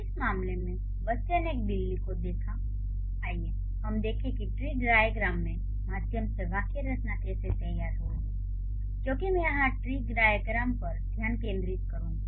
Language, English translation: Hindi, So, in this case the child saw a cat, let's see how the syntactic structure would be drawn through a tree diagram because I am going to focus on the tree diagrams here